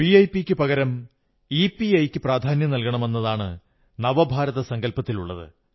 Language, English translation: Malayalam, Our concept of New India precisely is that in place of VIP, more priority should be accorded to EPI